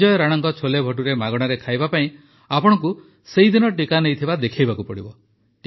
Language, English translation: Odia, To eat Sanjay Rana ji'scholebhature for free, you have to show that you have got the vaccine administered on the very day